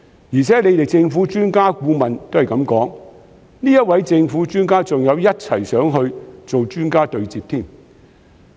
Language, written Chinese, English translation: Cantonese, 而且政府的專家顧問也是這樣說，該名政府專家更一同前往內地進行專家對接。, Moreover these are also the words of a government expert consultant who has even joined the delegation to the Mainland for an expert dialogue